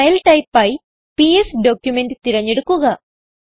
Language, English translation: Malayalam, Select the File type as PS document